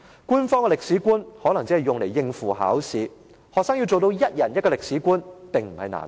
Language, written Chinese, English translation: Cantonese, 官方的歷史觀可能只是用來應付考試，學生要做到一人一個歷史觀並非難事。, The official historical perspective may only be used to tackle examinations and each student may have his own historical perspective